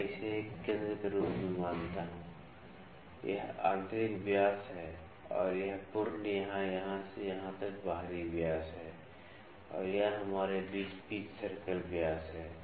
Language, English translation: Hindi, Let me consider this as a centre this is inner dia and this complete or from here to here this is outer dia and in between here we have pitch circle diameter